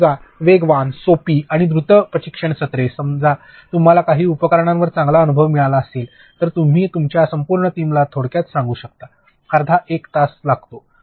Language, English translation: Marathi, Life is fast, simple and also quick training sessions like suppose you have you know gathered a good experience on certain tools, you can just brief your entire team; it takes like half an hour